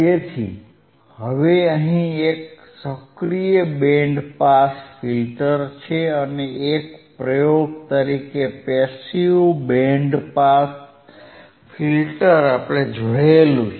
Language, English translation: Gujarati, So now what we have seen, we have seen an active band pass filter and we have seen a passive band pass filter as an experiment